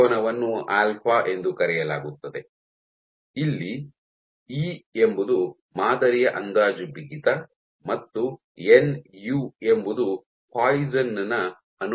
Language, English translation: Kannada, So, this angle is called alpha, here E is the estimated stiffness of the sample and nu is the Poisson’s ratio, F and delta